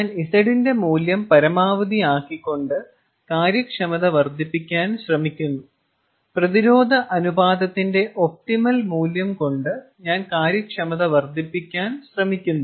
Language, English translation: Malayalam, i try to maximize the efficiency by maximizing the value of z and i try to maximize the efficiency by maximizing or by come coming up with the optimal value of the resistance ratio